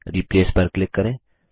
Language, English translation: Hindi, Next, click on Continue